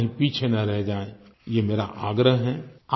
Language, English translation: Hindi, I urge you all not to get left behind